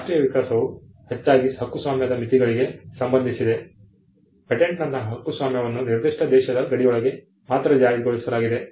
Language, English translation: Kannada, The national evolution largely pertained to the limits of copyright; copyright like patent was enforced only within the boundaries of a particular country